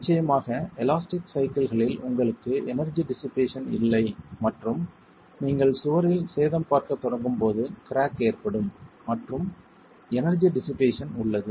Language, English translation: Tamil, Of course in the elastic cycles you do not have energy dissipation and as you start seeing damage in the wall, that is when cracking is occurring and there is energy dissipation